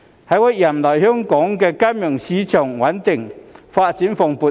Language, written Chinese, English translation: Cantonese, 在我任內，香港金融市場穩定，發展蓬勃。, During my tenure Hong Kongs financial market has developed stably and prosperously